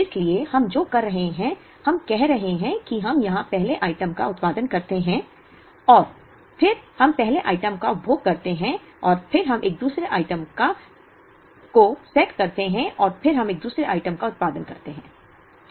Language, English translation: Hindi, So, what we are doing is, we are saying that we produce a first item here and then we consume the first item and then we setup the second item and then we produce a second item let us say up to this and then we consume the second item